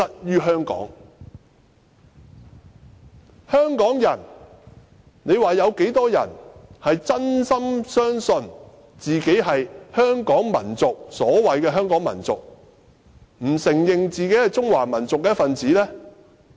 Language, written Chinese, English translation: Cantonese, 究竟香港有多少人是真心相信自己屬於所謂的香港民族，而不承認自己是中華民族的一分子？, How many people of Hong Kong genuinely believe they belong to the so - called Hong Kong nation and refuse to admit they are part of the Chinese nation?